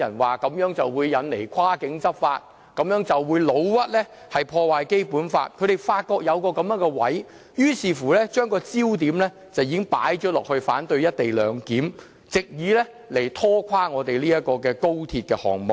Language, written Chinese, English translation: Cantonese, 他們指這樣會引來跨境執法，誣衊這樣會破壞《基本法》，他們發覺有機可乘，所以把焦點放在反對"一地兩檢"，藉以拖垮高鐵項目。, They can now scare Hong Kong people into believing that such a proposal would lead to cross - boundary law enforcement . They can also discredit the proposal as damaging the Basic Law . By focusing their efforts on opposing the co - location clearance they can simply exploit the proposal to scuttle the XRL project altogether